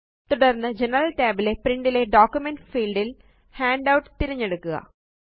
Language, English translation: Malayalam, And in the General tab, under Print, in the Document field, choose Handout